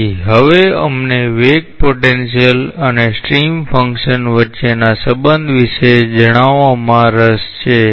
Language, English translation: Gujarati, So, now, we are interested say about a relationship between the velocity potential and the stream function